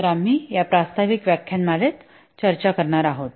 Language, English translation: Marathi, So, these are the basic topics we will discuss in this introductory lecture